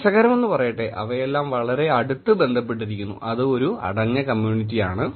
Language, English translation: Malayalam, Interestingly, they are all connected very closely and it is a closed community